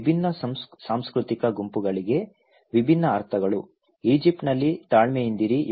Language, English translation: Kannada, The different meanings to different cultural groups, in Egypt have patience, be patient okay